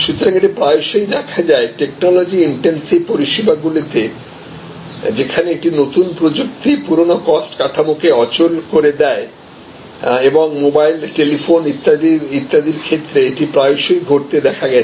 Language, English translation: Bengali, So, it happens very often in say, but technology intensive services, where a new technology obsolete the old cost structure and mobile, telephony etc, we have often seen this is happening